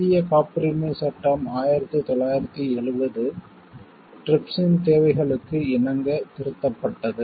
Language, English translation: Tamil, The Indian Patent Act, 1970 was amended to conform to the requirements of TRIPS